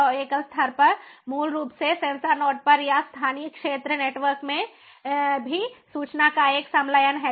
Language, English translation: Hindi, and single level, basically fusion of information at the sensor node or within the local area network itself